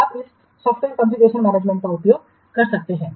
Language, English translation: Hindi, You can use this software confusion management